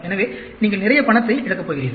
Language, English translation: Tamil, So, you are going to lose lot of money